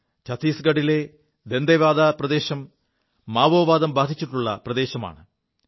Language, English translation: Malayalam, Dantewada in Chattisgarh is a Maoist infested region